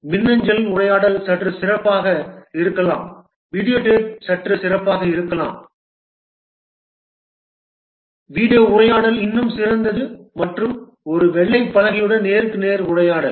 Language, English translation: Tamil, Video tape, slightly better, video conversation is still better and face to face conversation with a whiteboard